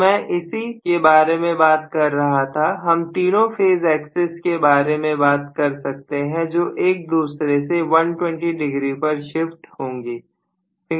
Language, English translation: Hindi, So that is what I am talking about, so I can essentially talk about all the 3 phases having their axis shifted from each other by 120 degrees